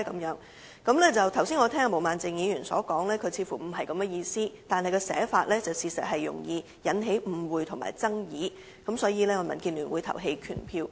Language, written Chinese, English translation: Cantonese, 然而，我剛才聽罷毛孟靜議員的解釋後，卻發現她似乎不是這意思，但她的寫法確實容易引起誤會和爭議，所以民建聯會投棄權票。, And yet after listening to the explanation given by Ms Claudia MO just now I realized that this is not her intention . But since the drafting of her amendment would easily give rise to misunderstanding and dispute DAB will abstain from voting